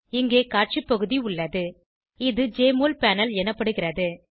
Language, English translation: Tamil, Here is the Display area, which is referred to as Jmol panel